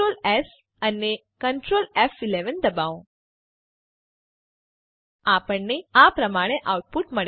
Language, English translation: Gujarati, Press Ctrl,s and Ctrl, F11 We get the output as follows